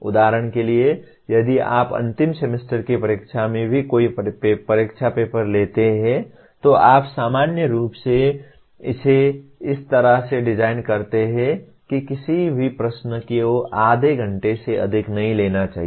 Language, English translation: Hindi, For example if you take any examination paper even in the end semester examination, you normally, it is designed in such a way no question should take more than half an hour